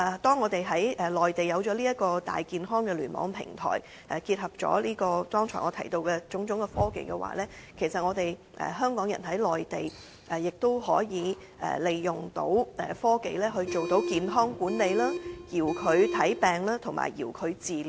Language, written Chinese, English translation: Cantonese, 當我們在內地有了這個"大健康"的聯網平台，結合了剛才我提到的種種科技，其實香港人在內地亦都可以利用科技來進行健康管理、遙距診症及遙距治療。, When we have this health for all Internet platform in the Mainland with the application of various technologies mentioned earlier Hong Kong people can actually leverage these technologies in health management remote consultation and remote treatment